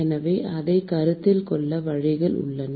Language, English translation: Tamil, So, there are ways to consider that